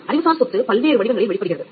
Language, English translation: Tamil, Intellectual property manifests itself in various forms